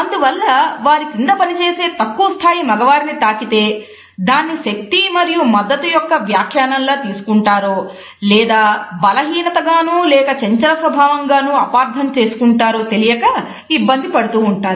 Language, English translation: Telugu, So, they are often unsure whether they are touch to their junior male employees may be interpreted as an indication of power and support or it may be misconstrued as an indication of either weakness or even of flirtatious attitudes